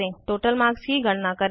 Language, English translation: Hindi, *Calculate the total marks